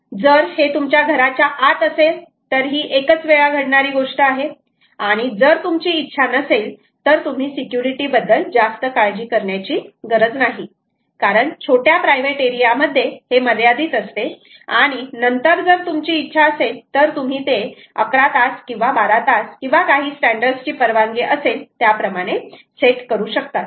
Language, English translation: Marathi, if it is inside your house its a one time thing and you dont want to worry so much about security because it is confined to a small private area then you may want to set it to ah, something like eleven hours or twelve hours or whatever the standard permits